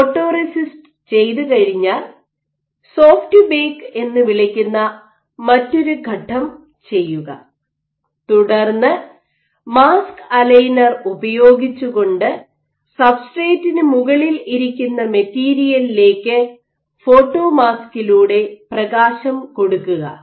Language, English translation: Malayalam, So, after you have done your photoresist, you do a step called soft bake and then using this material you use something called a mask aligner and you shine light onto your material on substrate through a photo mask